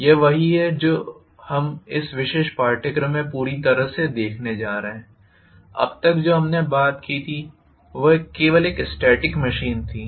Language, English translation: Hindi, That is what we are going to look at in this particular course on the whole, until now what we talked about was only a static machine